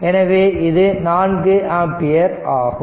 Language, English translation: Tamil, Now, this is 12 ampere